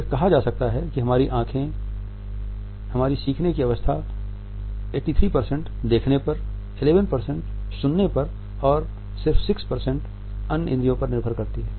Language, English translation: Hindi, It is said that in the learning curve 83% is dependent on our side, 11% on hearing and 6% on other senses